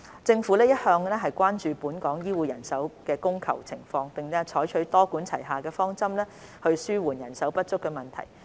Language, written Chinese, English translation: Cantonese, 政府一向關注本港醫護人手供求情況，並採取多管齊下的方針紓緩人手不足問題。, The Government has always been concerned about the demand for and supply of local healthcare manpower and adopted a multi - prong approach to alleviate the manpower shortage